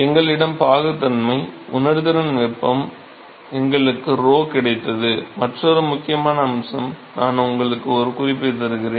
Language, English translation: Tamil, So, we have got viscosity, we have got sensible heat we have got rho, another important aspect I will give you a hint